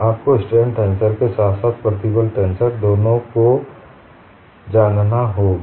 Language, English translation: Hindi, You have to know both this stress tensor as well as the strain tensor